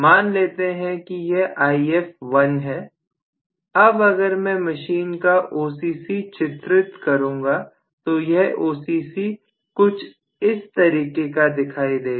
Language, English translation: Hindi, Let us say that is some If1, now if I try to draw the OCC of this machine may be the OCC will be some what like this